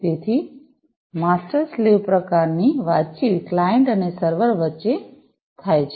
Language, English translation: Gujarati, So, master slave kind of communication takes place between the client and the server